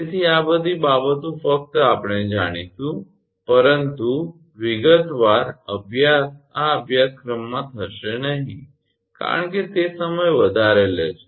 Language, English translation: Gujarati, So, all these things just we will know, but a detail study will not go into that in this course because it is a time mounting